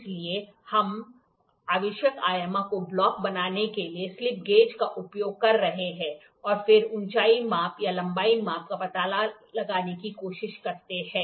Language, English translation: Hindi, So, we are using slip gauges to build up the blocks to the required dimension and then try to find out the height measurement or the length measurement